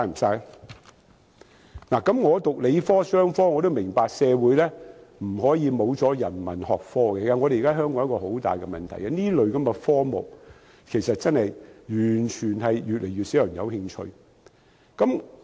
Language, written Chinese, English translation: Cantonese, 曾修讀理科和商科的我也明白社會不可沒有人文學科，現時香港一個很大的問題是，這類科目真的越來越少人感興趣。, Is that a waste of talent? . Although I studied science and business courses I understand that a society cannot do without humanities studies . At present a very serious problem has arisen in Hong Kong that is fewer and fewer people are interested in humanities studies